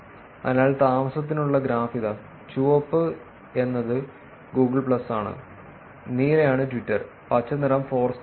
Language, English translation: Malayalam, So, here is the graph for residence; red is Google plus; blue is Twitter; and green is Foursquare